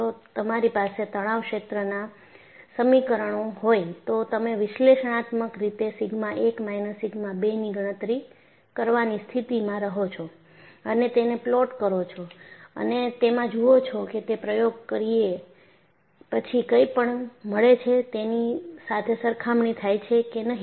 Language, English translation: Gujarati, If you have the stress field equations, you would be in a position to calculate analytically sigma 1 minus sigma 2 and plot it and see, whether it compares with whatever that is obtained in the experiments